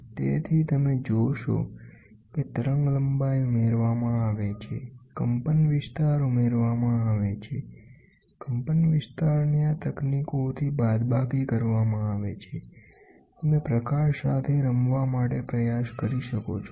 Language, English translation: Gujarati, So, you see the wavelength is added, the amplitude is added, the amplitude is subtracted with these techniques; you can try to play with light